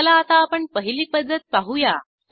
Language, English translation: Marathi, Let us see the first method